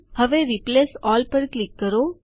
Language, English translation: Gujarati, Now click on Replace All